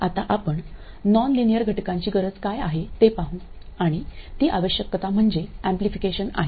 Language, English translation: Marathi, Now we will look at the need for nonlinear elements and it turns out the need is really amplification